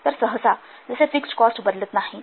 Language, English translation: Marathi, So as fixed cost they normally do not change